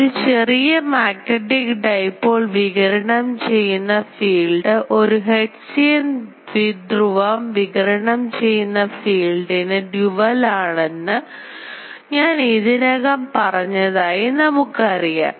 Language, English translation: Malayalam, And we know um I already said that the field radiated by a small magnetic dipole is dual to the field radiated by a hertzian dipole are current element